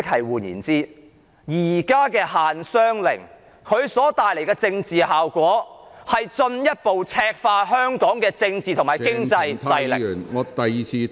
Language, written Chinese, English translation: Cantonese, 換言之，現時的限商令所帶來的政治效果，是進一步赤化香港的政治和經濟勢力......, In other words the existing business restriction will produce the political effect of further reddening Hong Kongs political and economic forces